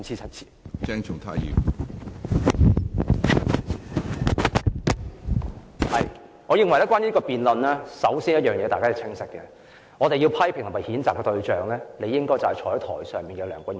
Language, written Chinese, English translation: Cantonese, 關於這項辯論，我認為首先大家要清晰，我們要批評和譴責的對象，理應是坐在台上的梁君彥主席。, As far as this debate is concerned I think that first of all we need to keep a clear head . The target of our criticism and censure should be Chairman Andrew LEUNG sitting up there on the dais